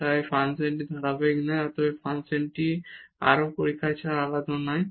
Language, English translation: Bengali, So, the function is not continuous and hence the function is not differentiable without any further test